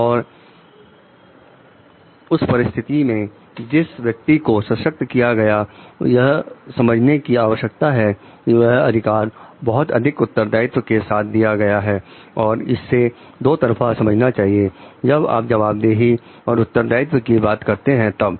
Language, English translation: Hindi, And in that case the person who is empowered needs to understand this authority is an immense responsibility that is given that needs to be reciprocated by like when you talk of accountability and responsibility